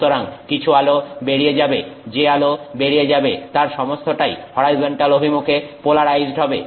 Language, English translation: Bengali, So, some light goes through all of which is plain polarized, you know, in the horizontal direction